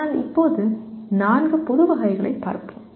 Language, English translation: Tamil, But right now, we will look at the four general categories